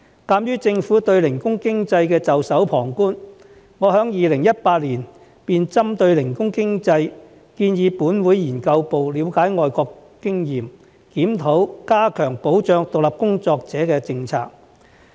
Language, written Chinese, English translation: Cantonese, 鑒於政府對零工經濟袖手旁觀，我在2018年便針對零工經濟建議本會資訊服務部資料研究組了解外國經驗，檢討加強保障獨立工作者的政策。, Given the Governments indifference to the subject of gig economy I proposed in 2018 that the Research Office of the Information Services Division of this Council should gather information about overseas experiences on gig economy and review the policy to strengthen protection for independent workers